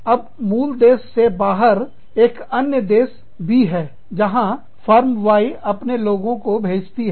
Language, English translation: Hindi, Now, Country B is another country, outside of this parent country, where Firm Y, sends its people to